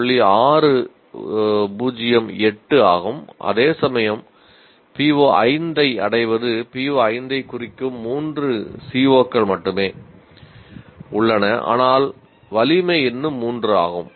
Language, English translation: Tamil, Whereas the attainment of PO5, there are only 3 COs that are dealing with which are addressing PO5, but the strength is still three